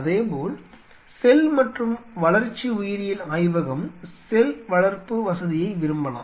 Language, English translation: Tamil, Similarly, cell and development biology, if they want to have a cell culture facility